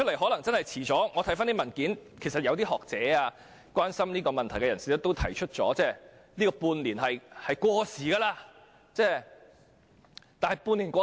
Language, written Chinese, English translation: Cantonese, 我曾翻看有關文件，發現有些學者或關注這個問題的人士指出半年的時效限制已過時。, Having read the papers I find that some scholars or those who are concerned about this issue have pointed out that the half - year time limit is outdated